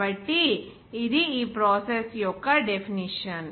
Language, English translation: Telugu, So, this is the definition of this process